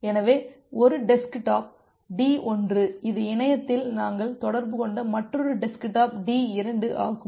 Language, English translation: Tamil, So, this is one desktop D1 this is another desktop D2 we have communicate over the internet